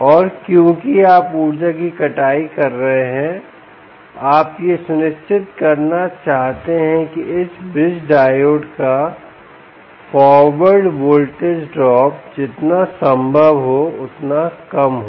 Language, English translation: Hindi, and because you are energy harvesting, you want to ensure that the forward voltage drop of this diode, bridge diodes, ah um, is as low as possible, as small as possible ah um